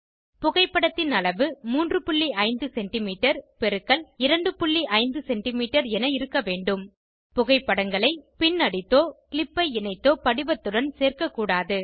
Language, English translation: Tamil, The size of the photo should be 3.5cm x 2.5cm The photos should not be stapled or clipped to the form